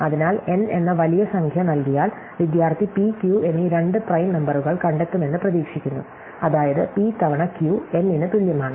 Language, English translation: Malayalam, So, given the large number N, the student is expected to find two prime numbers p and q, such that p times q is equal to N